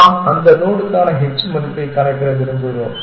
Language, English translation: Tamil, So, we want to also store that h value out of node